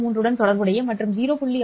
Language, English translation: Tamil, 33 and corresponding to 0